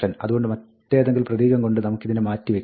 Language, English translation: Malayalam, So, we can replace this by something else